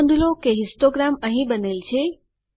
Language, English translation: Gujarati, Notice that the histogram is created here